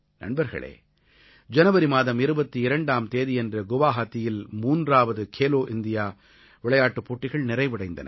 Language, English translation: Tamil, Friends, on 22nd January, the third 'Khelo India Games' concluded in Guwahati